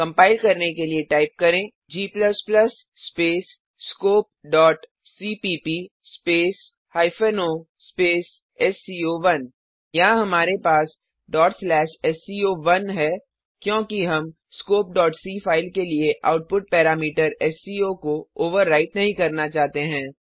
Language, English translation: Hindi, To compile type, g++ space scope dot cpp space o space sco1, Here we have ,sco1, because We dont want to overwrite output parameter sco for the file scope .c now press enter To execute type./sco1 and press enter